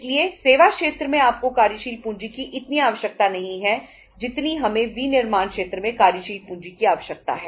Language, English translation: Hindi, In the services sector we require working capital but not that much as we require in the manufacturing sector